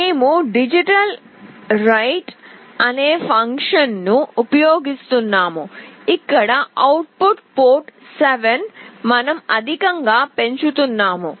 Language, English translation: Telugu, We are using a function called digitalWrite, where the output port 7 we are making high